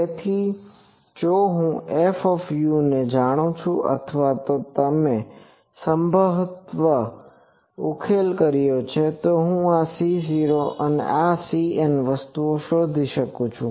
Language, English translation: Gujarati, So, if I know F u or if you probably specified, I can find out this C 0 and this C n things